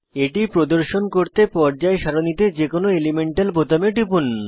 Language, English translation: Bengali, To display it, click on any element button on the periodic table